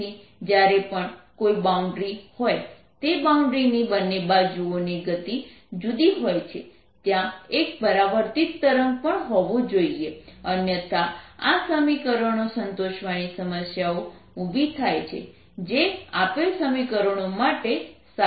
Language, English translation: Gujarati, so whenever there is a boundary so that the speeds of the two sides of that boundary are different, there has to be a reflected wave also, otherwise arise into problems of satisfying these equations, which are true nature, given equations